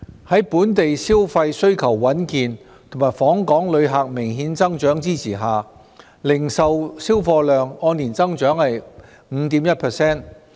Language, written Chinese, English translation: Cantonese, 在本地消費需求穩健和訪港旅客明顯增長的支持下，零售銷貨量按年增長 5.1%。, Backed by a steady demand for local consumption and obvious increase in the number of inbound visitors retail sales have grown 5.1 % over a year earlier